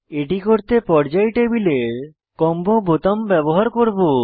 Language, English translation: Bengali, For this I will use Periodic table combo button